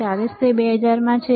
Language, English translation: Gujarati, 40 it is in 2,000